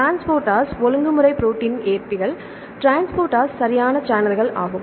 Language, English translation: Tamil, Transporters, regulatory proteins, receptors, transporters, right channels